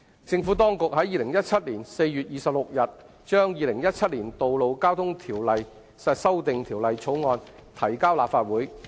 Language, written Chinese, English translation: Cantonese, 政府當局在2017年4月26日，將《2017年道路交通條例草案》提交立法會。, The Administration introduced the Road Traffic Amendment Bill 2017 the Bill into the Legislative Council on 26 April 2017